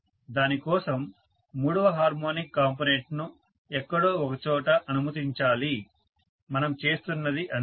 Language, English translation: Telugu, For that let me allow the third harmonic current somewhere, that is all we are looking at